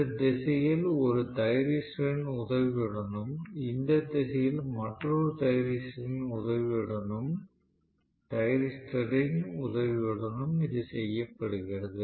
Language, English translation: Tamil, So, this is done with the help of let us say one thyristor in this direction and another thyristor in this direction